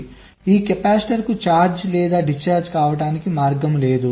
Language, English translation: Telugu, so there is no path for this capacitor to get charged or discharged